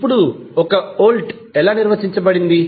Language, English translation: Telugu, Now, how you will measure 1 volt